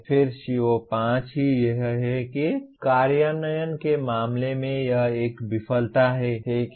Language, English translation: Hindi, Then CO5 itself is that is in terms of implementation itself it is a failure, okay